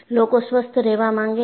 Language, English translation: Gujarati, People want to remain healthy